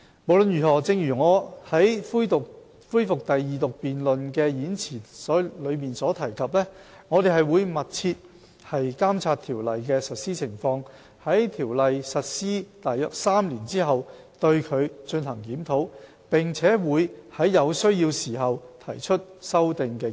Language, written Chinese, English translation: Cantonese, 無論如何，正如我在恢復二讀辯論的演辭所提及，我們會密切監察《條例》的實施情況，在《條例》實施約3年後進行檢討，並會在有需要時提出修訂建議。, In any event as I have mentioned in my speech on the resumed Second Reading debate we will keep a close eye on the implementation of the Ordinance conduct a review of the Ordinance three years after its implementation and propose amendments as and when necessary